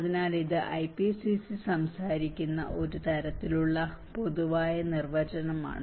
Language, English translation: Malayalam, So, this is a kind of generic definition which IPCC talks about